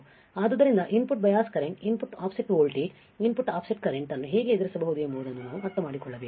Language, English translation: Kannada, So, we have to understand how we can deal with input bias current, input offset voltage, input offset current right